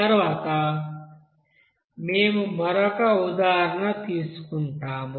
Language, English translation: Telugu, Let us do another example